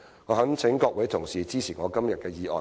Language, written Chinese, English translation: Cantonese, 我懇請各位同事支持我今天的議案。, I earnestly request Honourable colleagues to support my motion today